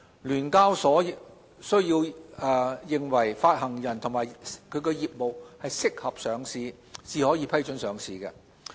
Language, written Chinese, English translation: Cantonese, 聯交所須認為發行人及其業務適合上市，才可批准上市。, The SEHK will only grant listing permission when in its opinion both the issuer and its business are suitable for listing